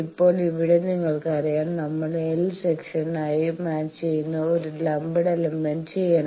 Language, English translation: Malayalam, Now, here you know, we will have to do a lumped element matching L Section matching